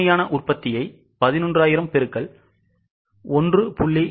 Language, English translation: Tamil, So, as we were discussing 11,000 into 1